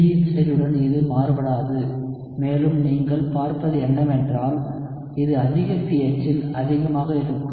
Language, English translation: Tamil, It will not vary with the concentration of B, and what you would see is it will be higher at a higher pH